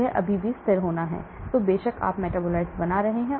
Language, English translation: Hindi, It has to be still stable, then of course you are forming metabolites